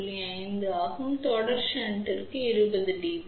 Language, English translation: Tamil, 5 for series shunt it is about 20 dB